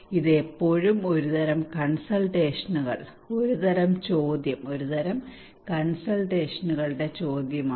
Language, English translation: Malayalam, This is still a kind of consultations, kind of question, a simply kind of question of consultations